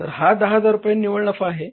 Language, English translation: Marathi, So this is a net profit of the 10,000